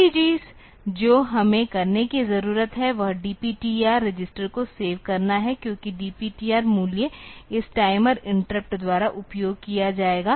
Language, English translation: Hindi, The first thing that we need to do is to save the DPTR register because the DPTR value will be used by this timer interrupt